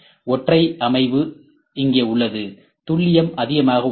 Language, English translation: Tamil, The single set up is here, accuracy is high